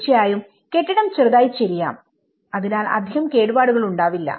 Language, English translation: Malayalam, Obviously, the building can only you know tilt a bit, so that it will not affect much damage